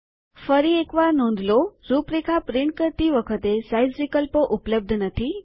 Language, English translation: Gujarati, Notice once again, that Size options are not available when we print Outline